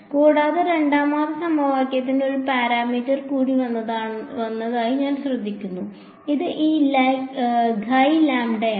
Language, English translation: Malayalam, Further, I notice the second equation has one more parameter that has come upon which is this guy lambda